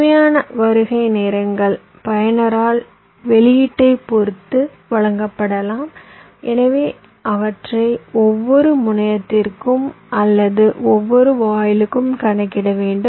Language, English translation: Tamil, required arrival times may be provided by the user with respect to the output, so we have to calculated them for every terminal or every gate